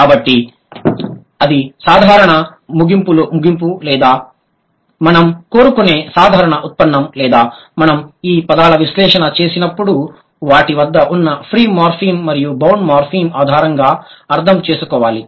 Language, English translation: Telugu, So, that is the general conclusion or the general derivation that we should claim or we should understand when we do the analysis of these words on the basis of the free morphem and the bound morphem that they have